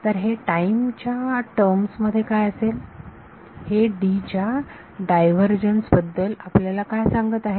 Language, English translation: Marathi, So, what is that in terms of time what does that tell us about divergence of D